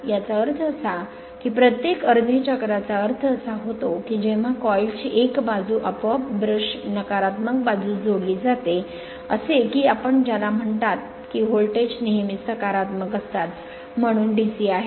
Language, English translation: Marathi, That means, every half cycle I mean when it is going to the negative that one side of the coil automatically connected to the your what you call nik’s brush right negative side such that your what you call that you are voltage always will remain your in the positive, so DC